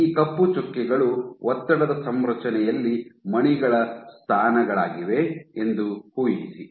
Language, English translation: Kannada, So, imagine these black dots are the positions of the beads in the stress configuration